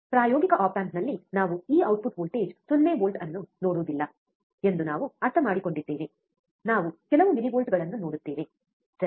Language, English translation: Kannada, And then we understand that we will not see this output voltage 0 volt in practical op amp we will see some millivolts, alright